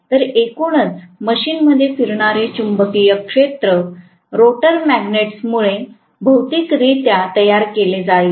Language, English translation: Marathi, So, on the whole the machine will have a revolving magnetic field physically created it because of the rotor magnets